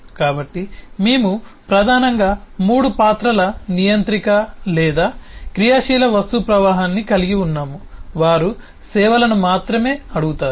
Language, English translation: Telugu, so we have seen that we have primarily flow controller or active object flow who only asks for services